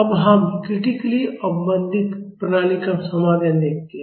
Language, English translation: Hindi, Now, let us see the solution of the critically damped system